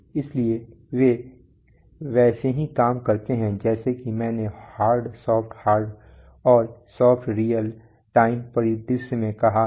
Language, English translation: Hindi, So and they work as I said in hard, soft hard and soft real time scenario